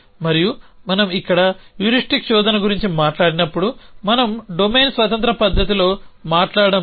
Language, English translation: Telugu, And when we talk of heuristic search here we are not talking in a domain independent fashion